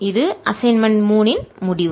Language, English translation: Tamil, there is the end of assignment three